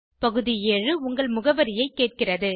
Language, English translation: Tamil, Item 7 asks for your address